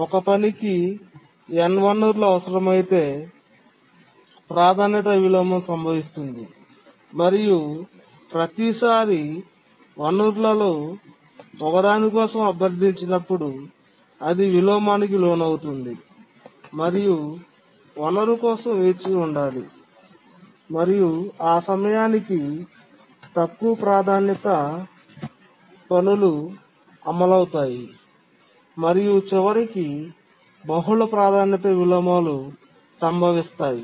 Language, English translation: Telugu, That is, if a task needs n resources, each time it requests for one of the resources, it undergoes inversion, waits for that resource, and by that time lower priority tasks execute and multiple priority inversions occur